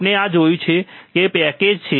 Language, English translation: Gujarati, We have seen this and it is packaged